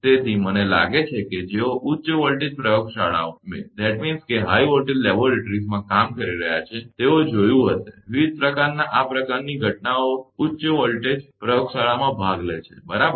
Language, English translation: Gujarati, So, I think, in those who are doing high voltage laboratories they might have seen, this kind of phenomena for different takes event in the high voltage laboratory, right